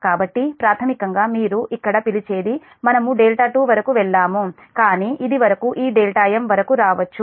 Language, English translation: Telugu, so basically this what you call here we have gone up to delta two, but up to this it can come up to this delta m